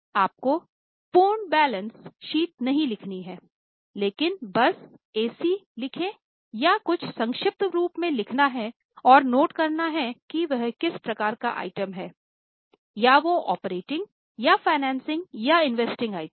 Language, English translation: Hindi, You don't have to write the full balance sheet but just write SC or something in short form and note whether what type of item it is